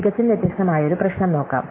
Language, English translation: Malayalam, So, let us look at a completely different problem